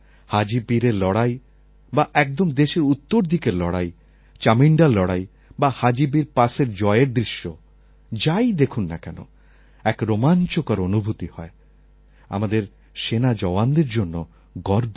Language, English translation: Bengali, Whether it is the battle of Haji Pir, Chaminda or Asal Uttar and the visuals of our victory near Haji Pir, we feel thrilled and immensely proud of our soldiers